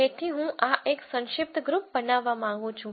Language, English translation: Gujarati, So, I want this to be a compact group